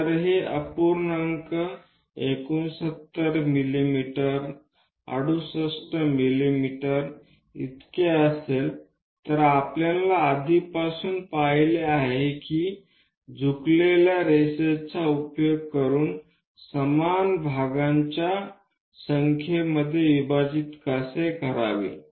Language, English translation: Marathi, If it is fraction something like 69 mm 68 mm we have already seen how to divide into number of equal parts by using this inclined line and constructing it